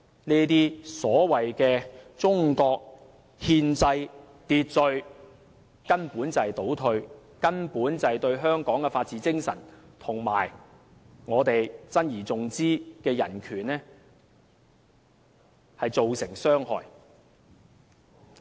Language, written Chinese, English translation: Cantonese, 這種所謂的中國憲制秩序根本就是一種倒退，是對香港的法治精神和我們珍而重之的人權造成傷害。, This Mainlands constitutional order is essentially a regression compromising the spirit of rule of law and human rights that we treasure so dearly